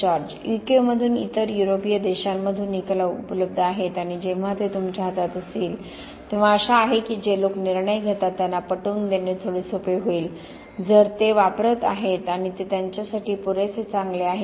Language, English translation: Marathi, Now we have your results There are results available from U K, from other European countries and when you have that at hand, hopefully it would be a bit easier to persuade the powers to be, the people that make the decisions that well, if they are using it and it is good enough for them